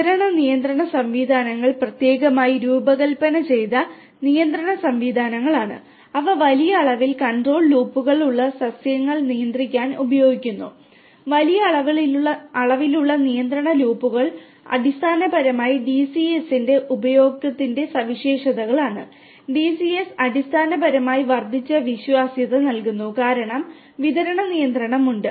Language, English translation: Malayalam, Distributed control systems are specially designed control systems that are used to control highly distributed plants having large number of control loops; large number of control loops is basically the characteristics of the use of DCS and DCS basically provides an increased reliability because there is distributed control